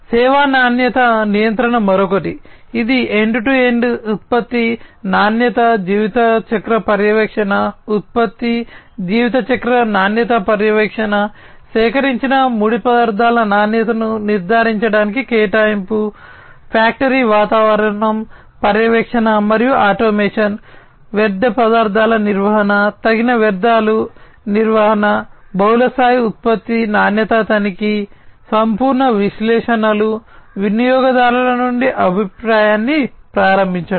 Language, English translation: Telugu, Service quality control is another one, which is about end to end product quality life cycle monitoring, product life cycle quality monitoring, provisioning to ensure quality of raw materials that are procured, factory environment, monitoring and automation, waste management, reduced waste management, multi level product quality check, holistic analytics, enabling feedback from customers